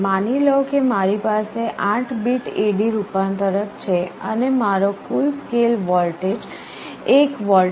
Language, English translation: Gujarati, Suppose I have an 8 bit A/D converter and my full scale voltage is 1 volt